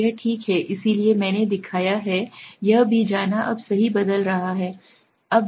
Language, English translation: Hindi, So that is one okay, so I have shown also go to this is now transform right